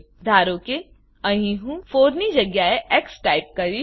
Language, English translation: Gujarati, Suppose here, we type x in place of 4